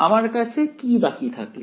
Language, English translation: Bengali, So, what I am left with